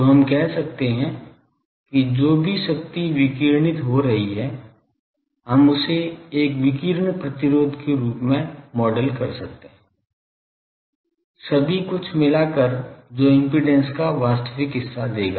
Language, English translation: Hindi, So, they are that we can whatever radiated power that, we can model as a radiation resistance so, all everything together that will give the real part of the impedance